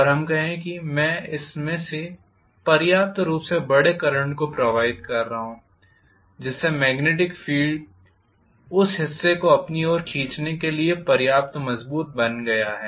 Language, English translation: Hindi, And let us say I am passing sufficiently large enough current through this because of which the magnetic field created is strong enough to pull that moving part towards itself